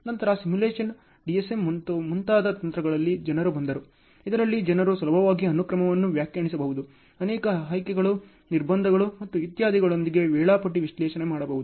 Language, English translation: Kannada, Then came in techniques like simulation, DSM, and so on, wherein people could easily define the sequence, do schedule analysis with multiple options, constraints and etc